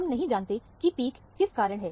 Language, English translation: Hindi, We do not know what is this peak due to